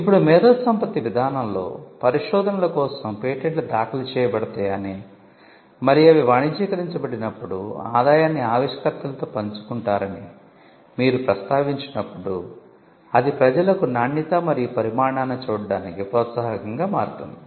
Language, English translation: Telugu, Now, when you mention in the IP policy that patents will be filed for trestles of research, and when they are commercialized the revenue will be shared with the inventors, then that itself becomes an incentive for people to look at the quality and the quantity of their research out